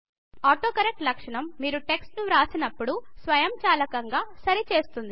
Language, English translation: Telugu, AutoCorrect feature automatically corrects text as you write